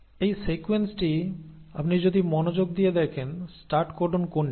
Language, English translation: Bengali, Now, in this sequence if you see carefully, what is the start codon